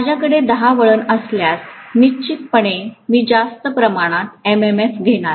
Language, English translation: Marathi, If I have 10 turns, definitely I am going to have a higher amount of MMF